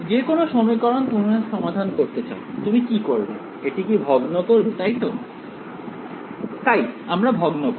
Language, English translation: Bengali, Any equation you want to solve it, what would you do discretize it right, so we would do a discretisation